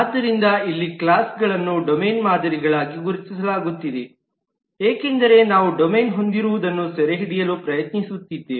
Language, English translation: Kannada, So here the classes are being identified as domain models because we are trying to capture what the domain has